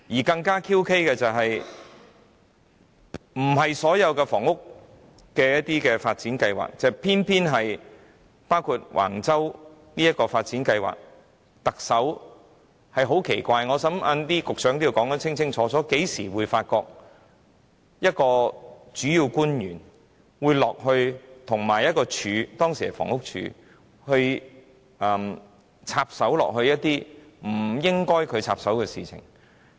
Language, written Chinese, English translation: Cantonese, 更詭異的是，涉及的不是其他房屋發展計劃，偏偏是橫洲的發展計劃，而特首也十分奇怪，我想局長稍後也須清楚解釋甚麼時候會見到一名主要官員會與一個署級機關——當時是房屋署——插手一些他本身不應該插手的事情？, What is even more bizarre is that it involved not other housing development projects but the development project at Wang Chau . And the Chief Executive acted very oddly . I believe the Secretary has to explain later on when a principal official in conjunction with a department―the Housing Department at the time―would intervene in some matters that he should not intervene in